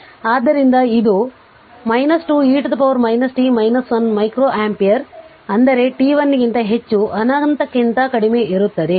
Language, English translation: Kannada, So, it is minus 2 e to the power minus t minus 1 that is micro ampere for t greater than 1 less than infinity